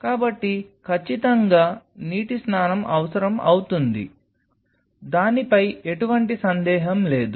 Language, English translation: Telugu, So, definitely will be needing on water bath that is for sure there is no question on that